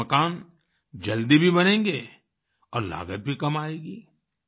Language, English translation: Hindi, By this, houses will get built faster and the cost too will be low